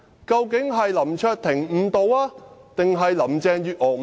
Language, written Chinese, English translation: Cantonese, 究竟是林卓廷誤導，還是林鄭月娥誤導？, Who has been misleading the public LAM Cheuk - ting or Carrie LAM?